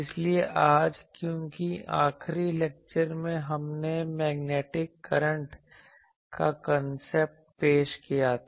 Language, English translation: Hindi, So, today since in the last lecture we have introduced the concept of magnetic current